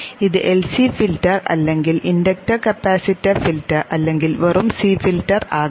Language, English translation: Malayalam, This would be followed by a filter which could be an LCD filter or the inductor capacitor filter or just a C filter